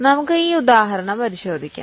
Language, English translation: Malayalam, Let us take this example